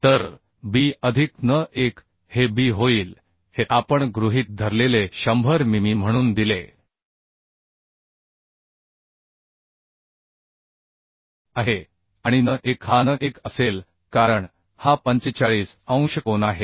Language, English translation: Marathi, So b plus n1, this will become b is given as 100 mm, we have assumed, and n1 will be n1 as this is 45 degree angle